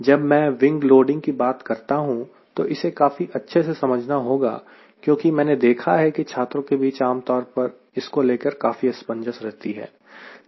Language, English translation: Hindi, the wing loading need to be clearly understood because there is a generally confusion i have seen among the student